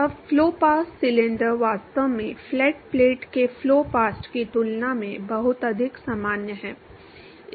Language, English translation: Hindi, Now, flow past cylinder is actually much more common than flow past of flat plate